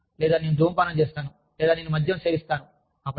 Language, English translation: Telugu, And, or, i tend to smoke, or, i tend to consume alcohol